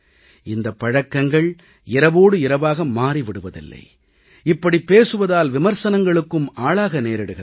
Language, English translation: Tamil, I know that these habits do not change overnight, and when we talk about it, we invite criticism